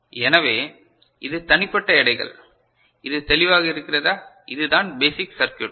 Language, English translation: Tamil, So, this is the individual weights, is it clear, the basic circuit right